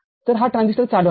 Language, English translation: Marathi, So, this transistor is on